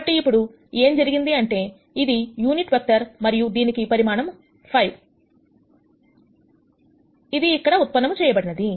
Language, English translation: Telugu, So now what has happened is this is a unit vector and this a has magnitude 5, which is what we derived here